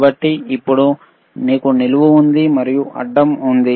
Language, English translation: Telugu, So now, we have the vertical, we have seen the horizontal